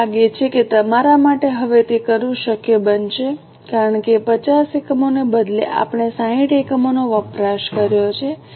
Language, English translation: Gujarati, I think it will be possible now for you to do it because instead of 50 units, we have consumed 60 units